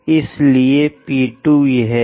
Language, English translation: Hindi, So, call that one as P 2